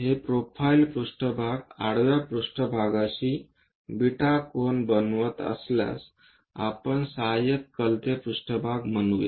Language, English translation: Marathi, If this profile plane makes an angle beta with the horizontal plane, we called auxiliary inclined plane